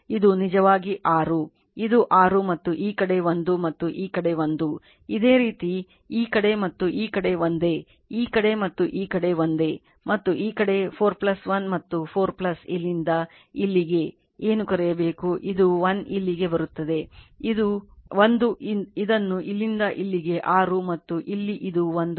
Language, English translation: Kannada, this is actually 6, this is 6 right and this side is 1 and this side is 1, this similarly this side and this side identical right, this side and this side identical and this side 4 plus 1 and your 4 plus your what to call from here to here, it is 1 you get here 1 right, this side it is there yours 4 your what you call this from here to here it is 6 and here it is 1, here it is 1 right